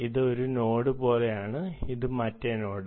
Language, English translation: Malayalam, this is like one node and this is the other node right now